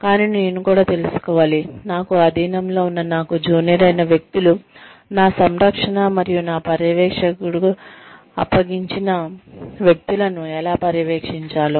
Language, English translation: Telugu, But, I should also know, how to supervise people, who are subordinates to me, people, who are junior to me, people, who have been entrusted to my care, and my supervision